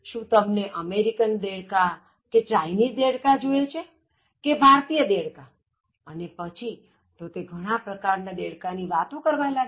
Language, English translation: Gujarati, Do you want the American frogs, the Chinese frogs or the Indian frogs and then he went on talking about so many types of frogs